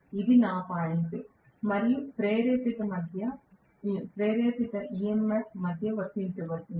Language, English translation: Telugu, That is being applied between this point and whatever is the induced EMF